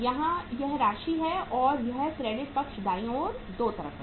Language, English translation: Hindi, Here it is amount and this is the credit side right, two sides